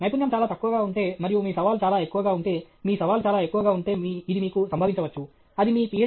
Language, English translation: Telugu, If the skill is very low and your challenge is very high, if your challenge is very, very high, then it can happen to you, it can happen to you in your Ph